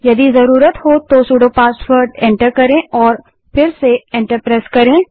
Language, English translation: Hindi, press Enter Enter the sudo password and press Enter again